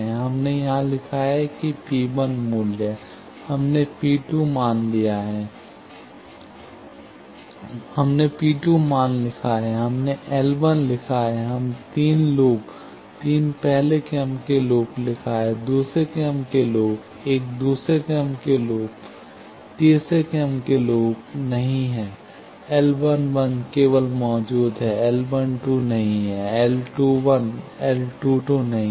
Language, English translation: Hindi, We have written here, P 1 value; we have written P 2 value; we have written L 1; we have written the three loops, three first order loops; second order loop, one second order loop; no third order loop; L 1 1 is only existing; L 1 2 is not there; L 2 1, L 2 2 is not there